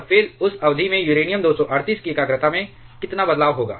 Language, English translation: Hindi, And then how much will be the change in the concentration of uranium 238 over that period